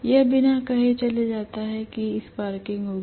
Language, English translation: Hindi, It goes without saying that there will be sparking